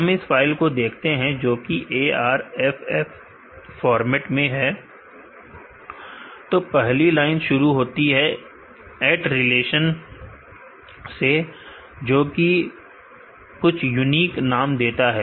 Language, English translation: Hindi, Let us look into the file this is the ARFF format, as he could the first line starts with at relation which gives a some unique name